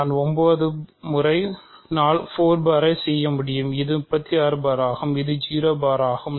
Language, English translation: Tamil, So, I can also do 9 times 4 bar which is 36 bar which is 0 bar